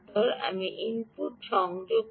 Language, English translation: Bengali, i will connect to the input